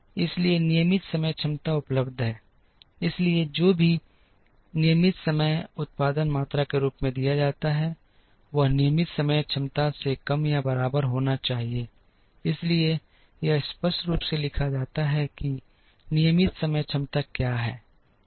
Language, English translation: Hindi, So, regular time capacity is available, so whatever is given as regular time production quantity, should be less than or equal to the regular time capacity, so this is clearly written as what is the regular time capacity